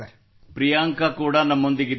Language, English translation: Kannada, Ok, Priyanka is also with us